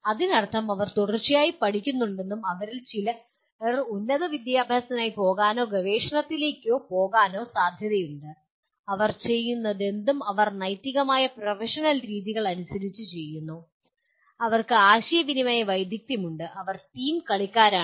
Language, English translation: Malayalam, That means they are continuously learning and some of them are likely to go for higher education or go into research as well and whatever they are doing they are doing as per ethical professional practices and they do have communication skills and they are team players